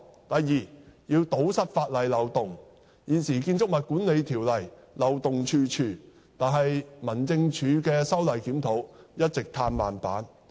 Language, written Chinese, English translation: Cantonese, 第二，政府必須堵塞法例漏洞，現時《建築物管理條例》漏洞處處，但民政事務總署的修例檢討一直"嘆慢板"。, Second the Government must plug the loopholes in law as the existing Building Management Ordinance is riddled with loopholes but the Home Affairs Department has been dragging its feet on the conduct of a review for making legislative amendments